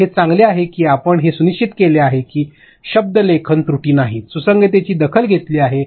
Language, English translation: Marathi, So, it is better that you make sure that are no spelling errors, your consistency is taken care of